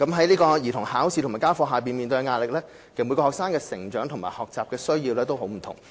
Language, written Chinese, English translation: Cantonese, 兒童面對考試及家課壓力，而其實每名學生的成長和學習需要皆不盡相同。, While children face examination and schoolwork stress every student actually has their distinctive development and learning needs